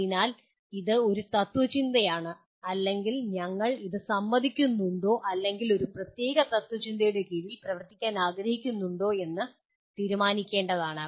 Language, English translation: Malayalam, So this is one school of philosophy or it is for you to decide whether you agree or whether you would like to operate under a particular school of philosophy